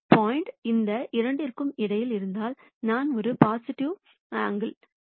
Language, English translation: Tamil, If the point is between these two, then I am going to have a positive theta angle